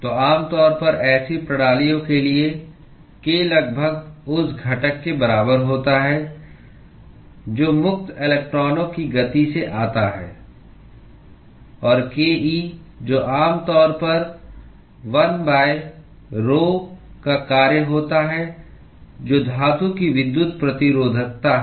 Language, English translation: Hindi, So, typically for such systems k is approximately equal to the component that comes from the free electrons movement and ke which is typically a function of 1 by rhoe which is the electrical resistivity of the metal